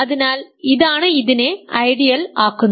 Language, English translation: Malayalam, So, that is what makes it an ideal ok